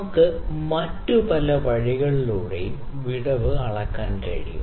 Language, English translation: Malayalam, We can measure the gap in many other ways